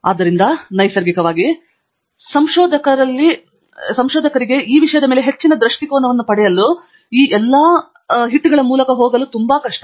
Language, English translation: Kannada, So, naturally, for a beginner among the researchers, its very difficult to go through all of these to get an over view of the subject